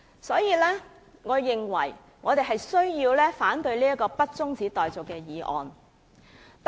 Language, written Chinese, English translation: Cantonese, 所以，我們必須反對不中止待續的議案。, Therefore we must oppose the motion that the debate be not adjourned